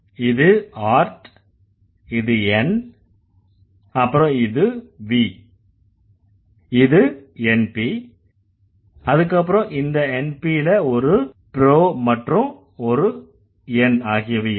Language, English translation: Tamil, So, this is art and n, this is v and np, this np will have a pro and an n